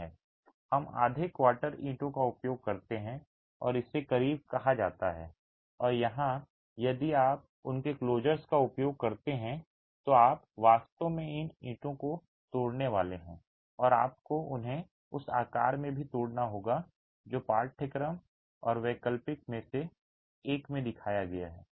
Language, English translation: Hindi, We use half quarter bricks and that's called a closer and here if you use these closers, you're actually going to have to break these bricks and you also have to break them in the shape that is shown in one of the courses and the alternate course here